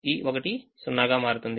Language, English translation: Telugu, one becomes zero